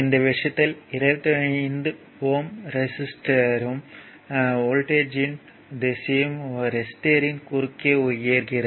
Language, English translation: Tamil, So, 25 resistor and the direction of the voltage rise across the resistor